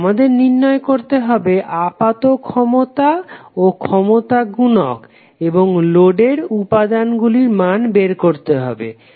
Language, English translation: Bengali, Now we have to find out the apparent power and power factor of a load and determined the value of element from the load